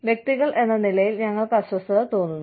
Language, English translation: Malayalam, We as individuals, feel uncomfortable about